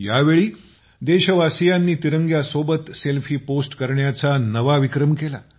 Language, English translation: Marathi, This time the countrymen have created a new record in posting Selfie with the tricolor